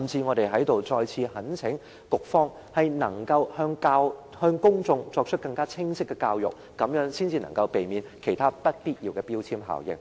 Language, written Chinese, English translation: Cantonese, 我在這裏再次懇請局方向公眾作出更清晰的教育，這樣才能避免其他不必要的標籤效應。, I hereby urge the Bureau once again to provide clearer education to the public in order to avoid triggering other unnecessary labelling effect